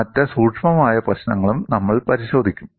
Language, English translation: Malayalam, And we will also look at other subtle issues